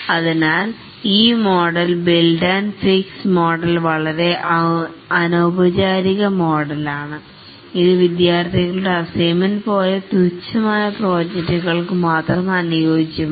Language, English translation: Malayalam, So this model, build and fix model is a very, very informal model, suitable only for projects where which is rather trivial like a student assignment